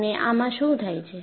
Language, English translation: Gujarati, And what happens